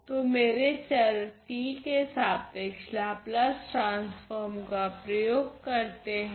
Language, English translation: Hindi, So, apply Laplace transform with respect to my variable t